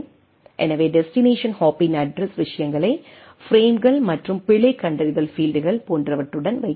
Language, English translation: Tamil, So, we need to put the addressing things of the destination hop along with the frames and the error detection fields etcetera